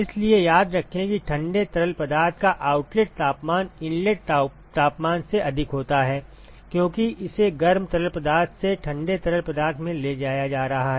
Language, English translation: Hindi, So, remember that the outlet temperature of the cold fluid is higher than the inlet temperature because it is being transported from the hot fluid to the cold fluid